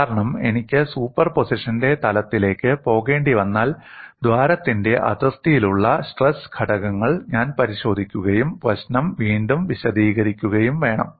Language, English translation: Malayalam, My focus is only on that because if I have to go to the level of superposition, I must look at the stress components on the boundary of the hole and then recast the problem